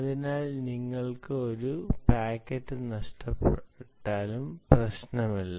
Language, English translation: Malayalam, so even if you lose one packet, it doesnt matter, right